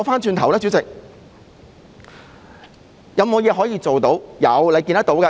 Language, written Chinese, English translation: Cantonese, 主席，有甚麼可以做呢？, President is there anything that can be done?